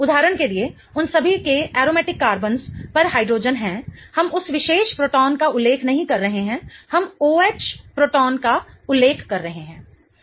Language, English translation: Hindi, So, for example the aromatic carbons, all of them have hydrogens on them, we are not referring to that particular proton